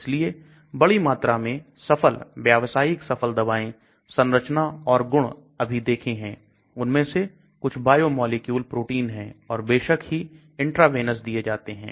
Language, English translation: Hindi, So large number of highly successful commercially successful drugs, structures and properties which we saw now some of them are biomolecules proteins and obviously they are given us intravenous